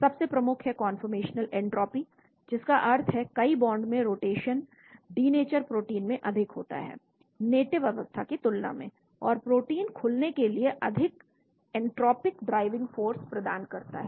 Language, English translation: Hindi, the major one is the conformational entropy that means rotation around many bonds in the protein is much freer in the denatured state than in the native state, and provides a strong entropic driving force for protein unfolding